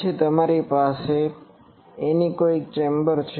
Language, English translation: Gujarati, Then you have anechoic chambers